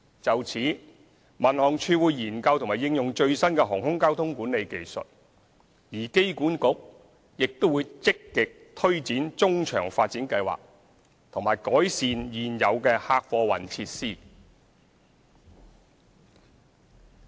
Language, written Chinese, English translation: Cantonese, 就此，民航處會研究和應用最新的航空交通管理技術，而機管局亦會積極推展中場發展計劃和改善現有的客貨運設施。, In this connection the Civil Aviation Department will study and apply the latest air traffic management technologies and AA will also actively promote the midfield development project and improve the existing passenger and freight transport facilities